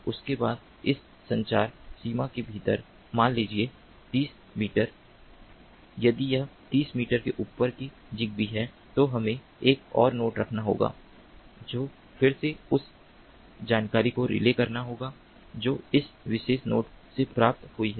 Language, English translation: Hindi, after that, within that communication range of, let us say, thirty meters, if it is zigbee up to above thirty meters, then we need to have another node which again has to relay that information that has been received from this particular node